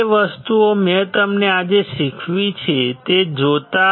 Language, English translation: Gujarati, Looking at the things that I have taught you today